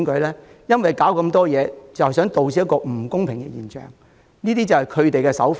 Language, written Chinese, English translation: Cantonese, 他們搞這麼多事，也是想導致不公平的現象出現，這便是他們的手法。, At the end of the day they make all the trouble just for the sake of generating unfairness